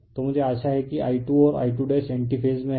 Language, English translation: Hindi, So, I hope you are I 2 and I 2 dash are in anti phase